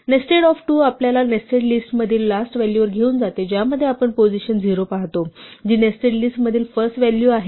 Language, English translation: Marathi, Nested of 2 takes us to the last value in the list nested in that we look at position 0, which is the first value in the nested list